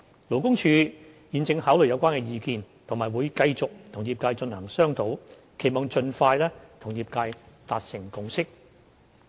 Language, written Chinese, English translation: Cantonese, 勞工處現正考慮有關意見，並會繼續與業界進行商討，期望盡快與業界達成共識。, LD is considering these views and will continue to liaise with the industry with a view to reaching a consensus with the industry as soon as possible